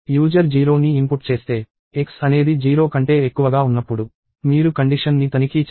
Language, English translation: Telugu, If the user inputs 0 itself, you check the condition while x is greater than 0